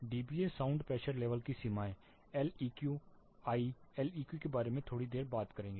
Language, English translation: Hindi, Limits of dBA sound pressure level Leq I will talk about Leq little while